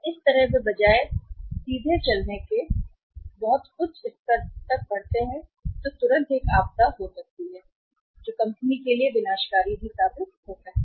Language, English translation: Hindi, So that way they they moved rather than moving straightaway from the one level to a very high level immediately that may be a disaster or that may prove to be disastrous for the company